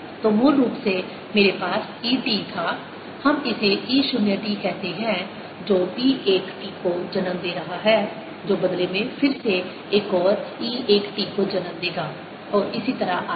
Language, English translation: Hindi, so originally i had e t, let's call it e, zero t, which is giving rise to ah, b one t, which in turn again will give rise to another e one t, and so on